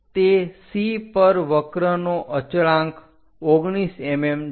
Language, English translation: Gujarati, On that C constant of the curve is 19 mm